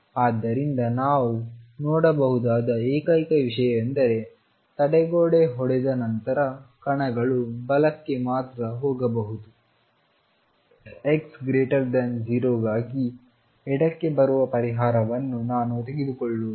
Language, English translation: Kannada, So, the only thing I can see is that the particles after hitting the barrier can go only to the right, I will not take a solution coming to the left for x greater than 0